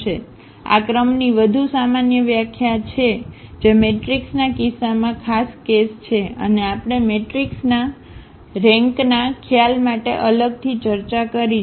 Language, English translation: Gujarati, So, this is a more general definition of the rank which the in case of the matrix that is the special case and we have separately discussed the rank concept of the matrix